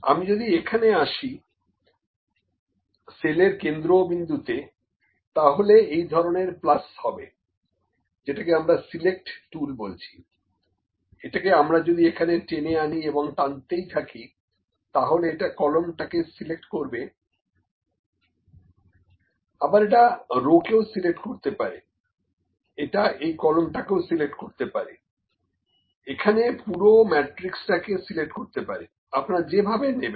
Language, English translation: Bengali, If I come at this if I come and the centre of the cell, this kind of plus is there, which is actually select tool if I drag it here keep on dragging, it will just select the column, it is it may select the row, it may select this column, it may select the whole matrix here, whatever you like, ok